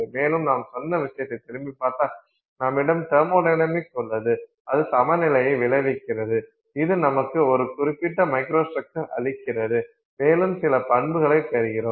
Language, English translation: Tamil, And then if you go back to what we said, you have thermodynamics, it results in equilibrium which gives you a certain microstructure and you get some properties